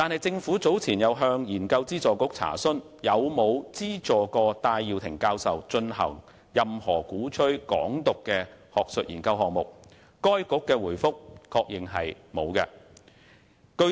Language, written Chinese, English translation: Cantonese, 政府早前亦向研究資助局查詢有否資助戴耀廷教授進行任何鼓吹"港獨"的學術研究項目，該局在回覆中確認沒有這樣做。, Earlier on the Government made enquiries with RGC whether it had subsidized Prof Benny TAI in undertaking any academic research project on advocating Hong Kong independence . In its reply RGC confirmed that it had not done so